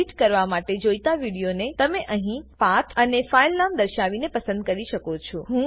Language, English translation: Gujarati, Here you can choose the video that you want to edit by specifying the path and the filename